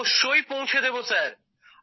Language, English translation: Bengali, Will definitely convey Sir